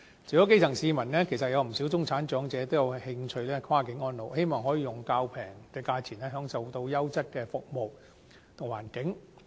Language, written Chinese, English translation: Cantonese, 除了基層市民，其實有不少中產長者也有興趣跨境安老，希望可以較便宜的價錢享受優質的服務環境。, Indeed apart from the grass roots many middle - class elderly persons are also interested in cross - boundary elderly care services to enjoy quality services and good environment at more affordable costs